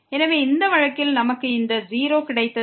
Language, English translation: Tamil, So, we got this 0